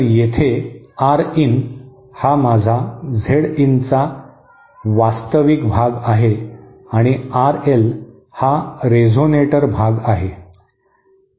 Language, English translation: Marathi, So here R in is the real part of my Z in and R L is the resonator part